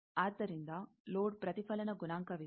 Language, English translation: Kannada, So, there is a load reflection coefficient